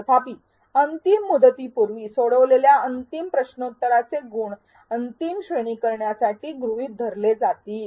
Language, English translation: Marathi, However, the last quiz score attempted before the deadline will be considered for final grading